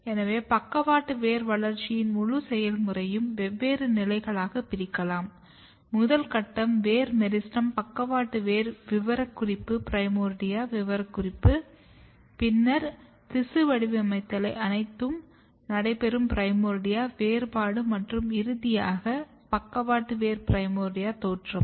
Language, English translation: Tamil, So, the entire process of lateral root development can be divided into different stages; the first stage is the root meristem lateral root specification primordia specification, then the primordia differentiation where all this tissue patterning is happening and then finally, lateral root primordia emergence